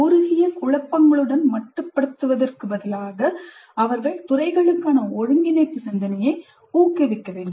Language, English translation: Tamil, Instead of being confined to narrow silos, they must encourage cross discipline thinking